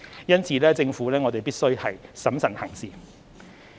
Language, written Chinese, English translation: Cantonese, 因此，政府必須審慎行事。, Therefore the Government must act prudently